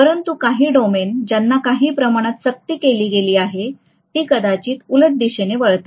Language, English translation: Marathi, But some of the domains which have been coerced to some extent, they would probably realign along the reverse direction